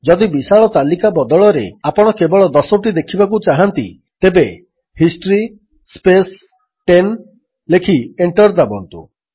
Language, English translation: Odia, If instead of the large list you want to see only the last ten, type history space 10 and press Enter